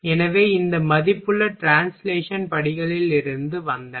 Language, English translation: Tamil, So, they this value these values came from translation steps